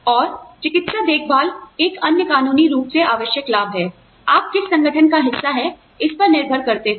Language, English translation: Hindi, And, medical care is another legally required benefit, depending on which organization, you are a part of